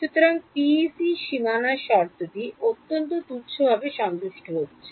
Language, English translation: Bengali, So, PEC the PEC boundary condition is very trivially being satisfied